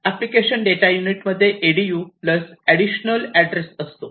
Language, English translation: Marathi, And, the application data unit includes the PDU plus the additional address